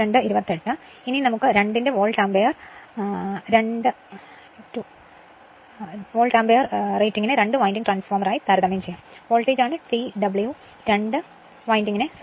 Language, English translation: Malayalam, Now, let us compare Volt ampere rating of the 2 right as a two winding transformer, I told you the voltage is your what T W stands for two winding